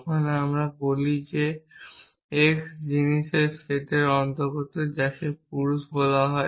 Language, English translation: Bengali, So, when you say man x we say that x belongs to the set of thing, which is call men